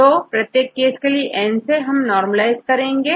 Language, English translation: Hindi, So, in each case, you will normalize with the N